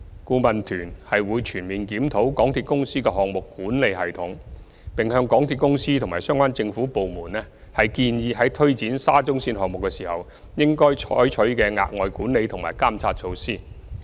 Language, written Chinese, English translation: Cantonese, 顧問團會全面檢討港鐵公司的項目管理系統，並向港鐵公司和相關政府部門建議在推展沙中線項目時，應採取的額外管理和監察措施。, It will conduct an overall review of MTRCLs project management system and recommend additional management and monitoring measures to be undertaken by MTRCL and government departments as appropriate in taking forward the SCL project